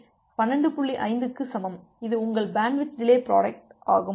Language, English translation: Tamil, 5, that was your bandwidth delay product